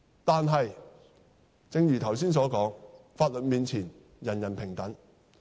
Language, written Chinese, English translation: Cantonese, 但是，正如剛才所說，法律面前，人人平等。, But as it was said earlier everyone is equal before the law